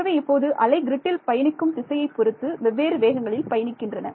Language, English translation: Tamil, So, now the wave travels at different speeds depending on which direction it is travelling in the grid